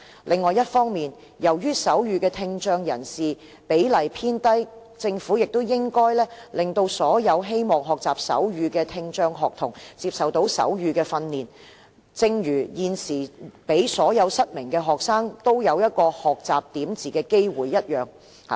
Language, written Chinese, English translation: Cantonese, 另一方面，由於懂手語的聽障人士比例偏低，政府也應該讓所有希望學習手語的聽障學童接受手語訓練，正如現時所有失明學生都享有學習點字的機會一樣。, On the other hand given that the ratio of deaf people who know sign language is relatively low the Government should enable deaf students who wish to learn sign language to receive sign language training just like blind students who are now all given the chance to learn braille